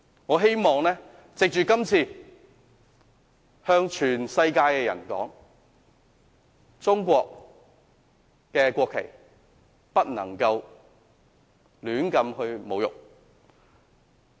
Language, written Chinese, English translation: Cantonese, 我希望藉着今次向全世界的人說，中國國旗不能胡亂侮辱。, I hope to tell the whole world through this incident that the national flag of China must not be insulted arbitrarily